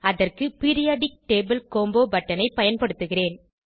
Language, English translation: Tamil, For this I will use Periodic table combo button